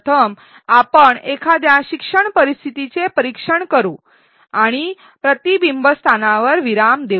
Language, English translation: Marathi, Let us first examine a learning scenario and pause at a reflection spot